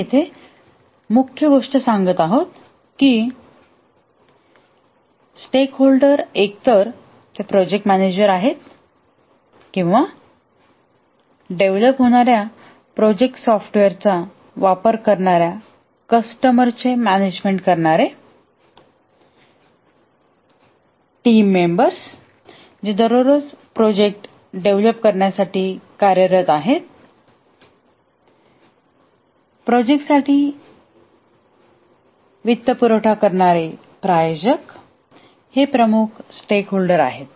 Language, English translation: Marathi, The main thing that we are saying here is that the stakeholders are the ones who are either they are the project manager who are managing, the customers who will use the project, the software that will be developed, the team members who are working every day to develop the project, the sponsor who is financing the project, these are the key stakeholders